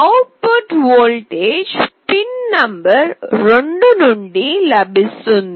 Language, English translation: Telugu, The output voltage will be available from pin number 2